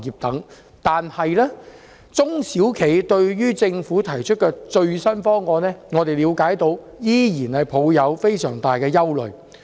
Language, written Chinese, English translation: Cantonese, 但是，據我們了解，中小企對於政府提出的最新方案依然存有非常大的憂慮。, But as far as we understand it SMEs still have grave concerns about the latest proposal put forward by the Government